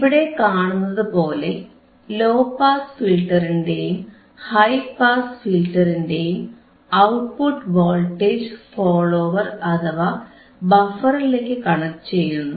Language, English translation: Malayalam, This output of the low pass and high pass filter is connected to the buffer to the voltage follower or to the buffer as you see here